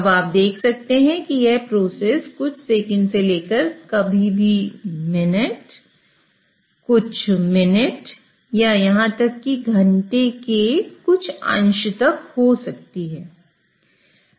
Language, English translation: Hindi, Now you can see that this process may take anywhere from a few seconds to even sometimes minutes and a few minutes or even a fraction of an hour